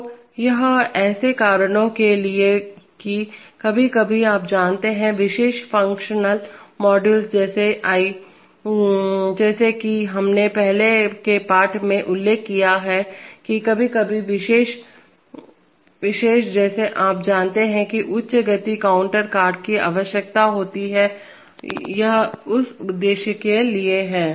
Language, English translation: Hindi, So, it is for such reasons that sometimes, you know, special functional modules like, as I, as we mentioned in the earlier class that sometimes special you know high speed counter cards are needed, it is for this purpose